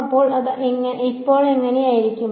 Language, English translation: Malayalam, So, what will it look like now